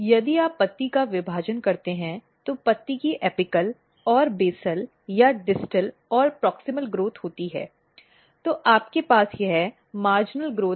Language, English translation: Hindi, So, if you look if you divide this leaf so there is a apical and basal or distal and proximal growth of the leaf then you have this marginal growth